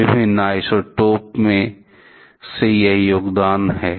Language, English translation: Hindi, This is the contributions from different isotopes